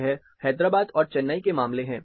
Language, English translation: Hindi, This is in the case of Hyderabad as well as Chennai